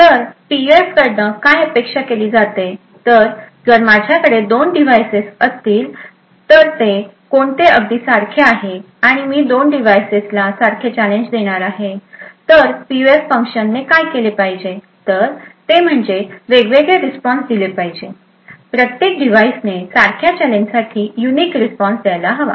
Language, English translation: Marathi, So, typically what is expected of a PUF is that if I have two devices which are exactly identical and I provide the same challenge to both the devices, then what a PUF function should do is that it should provide a response which is different, essentially each device should provide a unique response for the same challenge